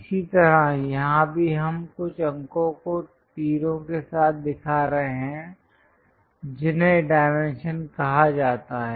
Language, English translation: Hindi, Similarly, here also we are showing some numerals with arrows those are called dimension